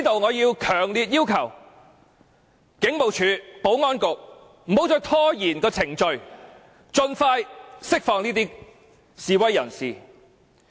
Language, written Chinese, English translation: Cantonese, 我強烈要求警務處和保安局不要再拖延，盡快釋放這些示威人士。, I strongly urge the Hong Kong Police Force and the Security Bureau to immediately release these demonstrators